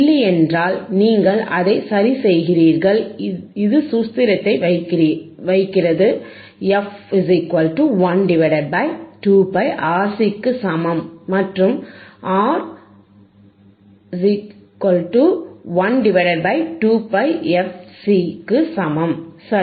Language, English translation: Tamil, If not, you correct it because it is just putting formula, f equals to 1 upon 2 pi RC two pi into RC and R equals to 1 upon 2 pi fcC, right